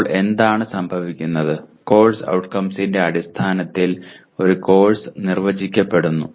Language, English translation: Malayalam, Then what happens is a course is defined in terms of course outcomes